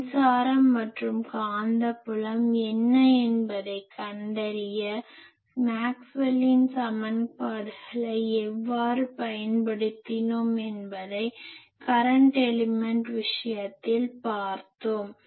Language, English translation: Tamil, We have seen in case of current element how we solved Maxwell's equations to find out what are the E, H etc